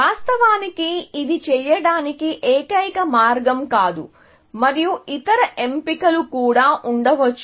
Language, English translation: Telugu, Of course, this is not the only way of doing this, essentially, and there could have been other choices